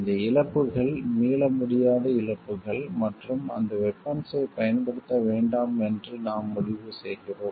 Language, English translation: Tamil, And these losses are irreversible losses and we decide not to use that weapon